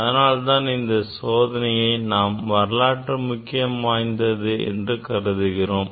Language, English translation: Tamil, that is why it is the historically very important experiment